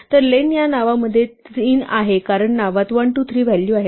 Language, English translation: Marathi, So, len of names is 3 because there are 1, 2, 3 values in names